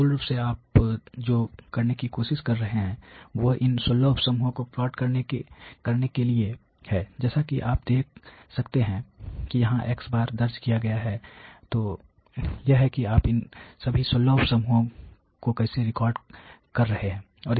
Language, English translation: Hindi, So, basically what you are trying to do is to plot these 16 sub groups, as you can see has recorded here as you know… So, that is how you are recording all these 16 sub groups